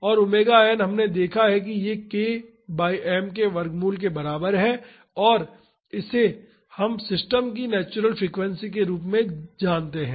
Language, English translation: Hindi, And omega n we have seen that it is equal into root of k by m and it is known as the natural frequency of this system